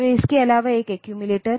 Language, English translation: Hindi, So, also apart from this a accumulator